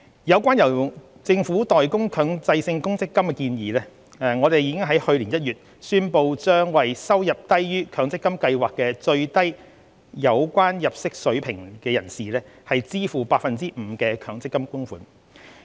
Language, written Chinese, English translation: Cantonese, 有關由政府代供強制性公積金的建議，我們已於去年1月宣布將為收入低於強積金計劃的最低有關入息水平者支付 5% 的強積金供款。, Regarding the suggestion for the Government to make Mandatory Provident Fund MPF contributions we announced in January 2020 to pay in future the 5 % MPF contributions on behalf of employees whose salary is lower than the minimum relevant income level